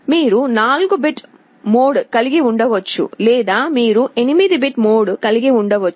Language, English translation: Telugu, You can either have a 4 bit mode or you can have an 8 bit mode